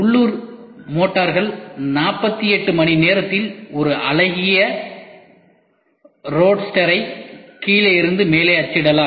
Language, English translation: Tamil, Local motors can print a good looking roadster from bottom to top in 48 hours